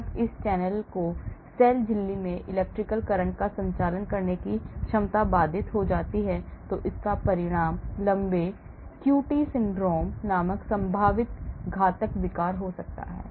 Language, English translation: Hindi, When this channel’s ability to conduct electrical current across the cell membrane is inhibited, it can result in a potentially fatal disorder called the long QT syndrome